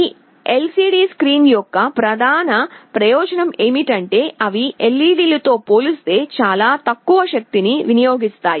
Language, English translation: Telugu, The main advantage of this LCD screen is that they consume very low power as compared to LEDs